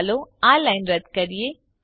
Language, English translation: Gujarati, Let us remove this line